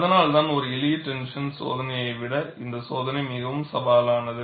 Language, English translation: Tamil, That is why, the test is more challenging than in the case of a simple tension test